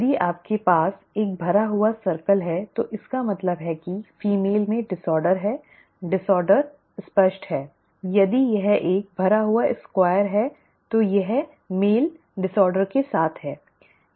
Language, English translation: Hindi, If you have a filled square it means that the female has the disorder, the disorder is apparent; if it is a filled square it is a male with the disorder